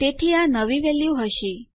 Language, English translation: Gujarati, So this will be our new value